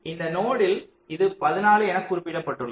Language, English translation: Tamil, for this node it was specified as fourteen